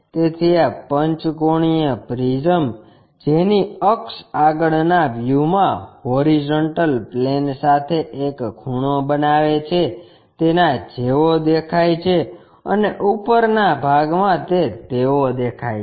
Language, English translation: Gujarati, So, this pentagonal prism which iswhose axis is making an inclination angle with the horizontal plane in the front view looks like that and in the top view looks like that